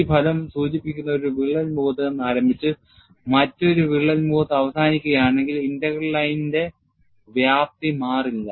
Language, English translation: Malayalam, This result implies that, in crack problems, if a contour starts from one crack face and ends in another crack face, the magnitude of the line integral does not change